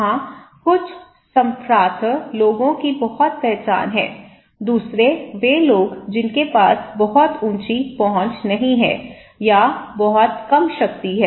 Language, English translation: Hindi, There some elite people have better access, the other people those who don’t have they have little access or little power to accessize